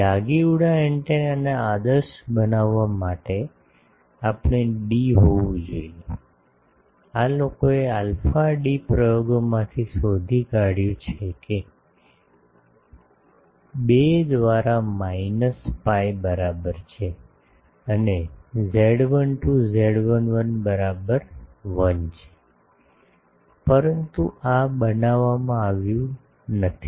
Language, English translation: Gujarati, We should have d should be, this people have found from experiment alpha d is equal to minus pi by 2 and z 12 z 11 is equal to 1, but this is not made